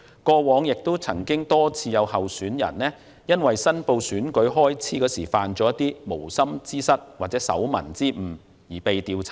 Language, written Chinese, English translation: Cantonese, 過往多次有候選人因為申報選舉開支時犯無心之失或手民之誤而被調查。, In the past many candidates had been investigated for inadvertent mistakes or typographical errors when reporting election expenses